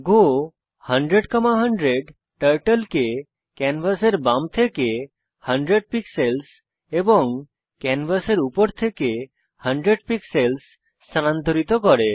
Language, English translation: Bengali, go 10,100 commands Turtle to go 10 pixels from left of canvas and 100 pixels from top of canvas